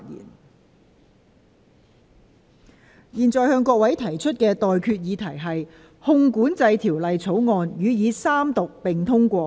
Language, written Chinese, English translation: Cantonese, 我現在向各位提出的待決議題是：《汞管制條例草案》予以三讀並通過。, I now put the question to you and that is That the Mercury Control Bill be read the Third time and do pass